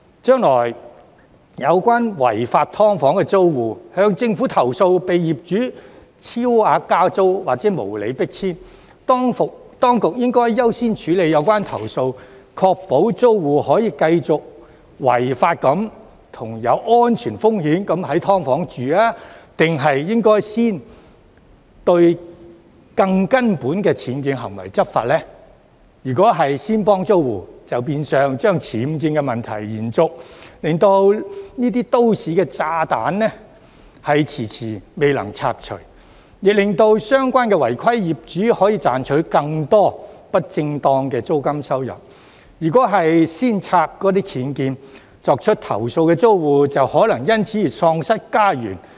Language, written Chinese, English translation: Cantonese, 將來，若有關違法"劏房"的租戶向政府投訴被業主超額加租或無理迫遷，當局應該優先處理有關投訴，確保租戶可以繼續在違法及有安全風險的"劏房"居住，還是應該先對更根本的僭建行為執法呢？如果當局先幫租戶，就變相把僭建問題延續，令這些"都市炸彈"遲遲未能拆除，亦令相關違規業主可以賺取更多不正當的租金收入；如果先拆僭建，作出投訴的租戶就可能因而喪失家園。, In the future if tenants of illegal SDUs complain to the Government about excessive rent increases or unreasonable evictions by the landlords should the authorities first handle the complaints to ensure that the tenants can continue living in the illegal SDUs with safety risks or should they first take enforcement actions against the more fundamental act of UBWs? . If the authorities first help the tenants it will in effect perpetuate the problem of UBWs delaying the removal of these city bombs and allowing the landlords concerned to earn more unjustified rental income; if the UBWs are demolished first the tenants who have lodged the complaints may lose their homes